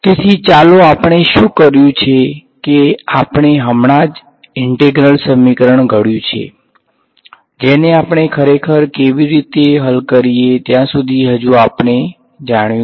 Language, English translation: Gujarati, So, let us what we have done is we have just formulated the Integral Equation we have not yet come upon how do we actually solve it